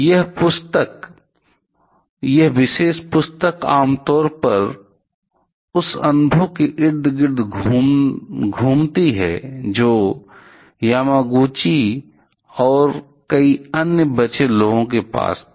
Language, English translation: Hindi, This particular book generally rotates around the; or it revolves around the experience that Yamaguchi and several other survivors had